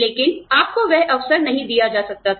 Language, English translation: Hindi, But, you could not be given that opportunity